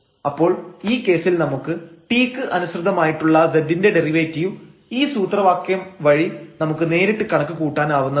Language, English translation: Malayalam, So, in that case we can directly compute the derivative of z with respect to t; by this formula and then this is generalization of this one that x and y